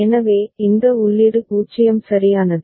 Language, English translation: Tamil, So, this input is 0 right